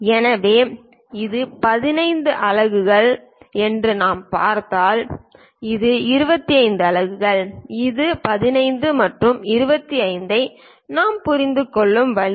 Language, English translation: Tamil, So, if we are seeing this one is 15 units and if we are looking at that, this one is 25 units this is the way we understand this 15 and 25